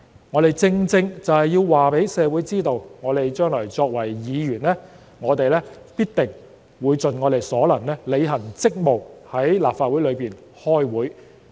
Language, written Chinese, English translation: Cantonese, 我們正正要告知社會，我們將來作為議員，必定會盡我們所能履行職務，在立法會出席會議。, We are telling the community that we as Members will do our best to perform our duties and attend the meetings of the Legislative Council in the future